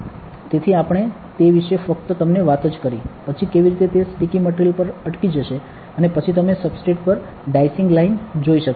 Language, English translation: Gujarati, So, we just spoke to you about that, then how it will be stuck on to a sticky material and then you can you saw the dicing lines on the substrate